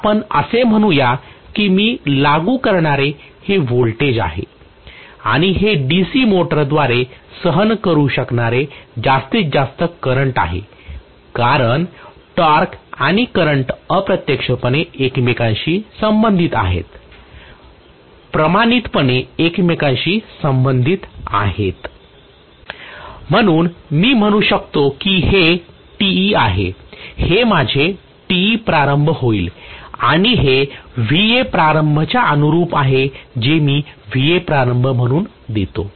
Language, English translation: Marathi, So let us say this is going to be the voltage that I apply and this is the maximum current that can be withstood by the DC motor because the torque and current indirectly are related to each other, proportionally related to each other, so I can say this is Te and this happens to be my Te starting and this corresponds to Va starting, whatever I give as the Va starting, okay